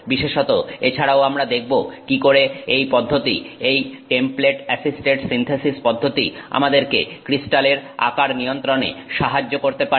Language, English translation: Bengali, We will, in particular we will also look at how this synthesis process, this template assisted synthesis process may help us control crystal sizes